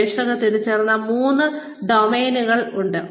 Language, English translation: Malayalam, There are three main domains, that have been identified by researchers